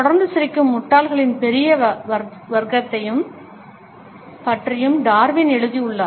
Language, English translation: Tamil, Darwin has also written about the large class of idiots, who are constantly smiling